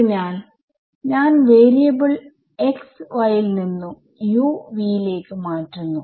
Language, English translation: Malayalam, So, I am doing this change of variable from x y to u v right